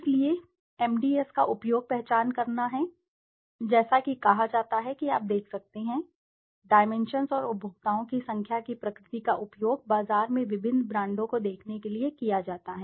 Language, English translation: Hindi, So, the use of MDS is to identify as it is said you can see, the number and nature of dimensions consumers use to perceive different brands in the market place